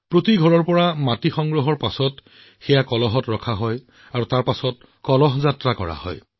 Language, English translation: Assamese, After collecting soil from every house, it was placed in a Kalash and then Amrit Kalash Yatras were organized